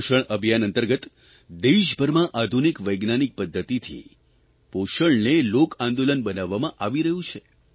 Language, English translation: Gujarati, Under the 'Poshan Abhiyaan' campaign, nutrition made available with the help of modern scientific methods is being converted into a mass movement all over the country